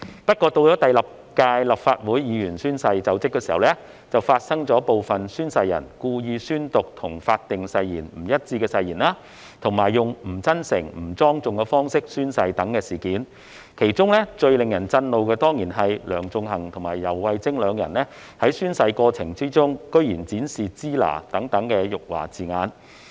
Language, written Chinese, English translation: Cantonese, 不過，到了第六屆立法會議員宣誓就職時，卻發生部分宣誓人故意宣讀與法定誓言不一致的誓言，以及以不真誠、不莊重的方式宣誓等事件，其中最令人震怒的，當然是梁頌恆和游蕙禎兩人居然在宣誓過程中展示"支那"等辱華字眼。, Yet when it came to the swearing - in of Members of the Sixth Legislative Council some oath takers intentionally read out words which did not accord with the wording of the oath prescribed by law and took the oath in a manner which was not sincere or not solemn . The most outrageous of all of course is that Sixtus LEUNG and YAU Wai - ching insulted China by pronouncing it as Sheen - na in the oath - taking process